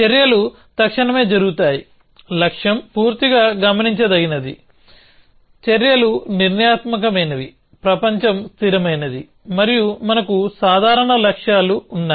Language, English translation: Telugu, Actions are instantaneous, the goal is fully observable actions are deterministic, the world is static and we have simple goals